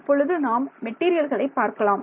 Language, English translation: Tamil, Now let us look at materials ok